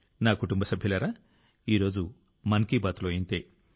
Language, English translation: Telugu, My family members, that's all today in Mann Ki Baat